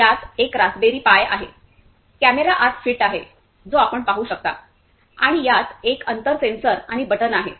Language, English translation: Marathi, It has a Raspberry Pi Zero, camera which is fit inside you can see this one and it has a distance sensor and the button